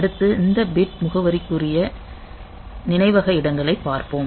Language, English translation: Tamil, So, next we will look into this bit addressable memory locations